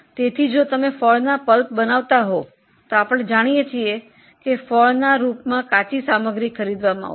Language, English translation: Gujarati, So, if we are making fruit pulp, we know that raw material in the form of fruit will be purchased